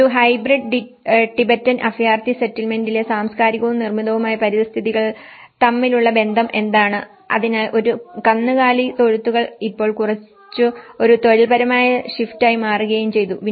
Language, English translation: Malayalam, And what is the relationship between the cultural and built environments in a hybrid Tibetan refugee settlement, so cattle sheds now discontinued or reduced as an occupational shift